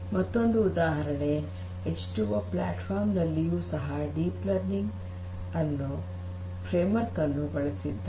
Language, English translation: Kannada, So, another example is H2O platform that also uses the deep learning framework